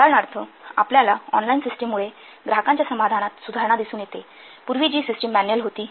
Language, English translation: Marathi, For example, you see improvement in customer satisfaction due to online systems